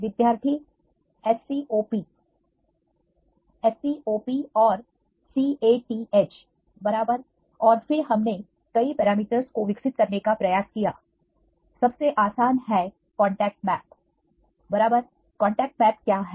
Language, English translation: Hindi, SCOP and CATH right and then we tried to develop various parameters, the simplest one is the contact maps right what is the contact map